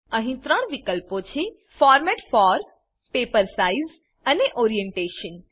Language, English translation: Gujarati, There are 3 options here Format for, Paper size and Orientation